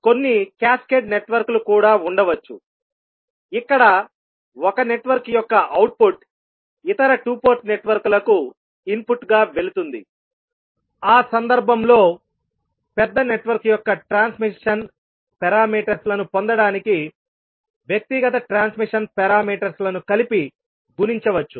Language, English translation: Telugu, There may be some cascaded networks also where the output of one network goes as an input to other two port network, in that case individual transmission parameters can be multiplied together to get the transmission parameters of the larger network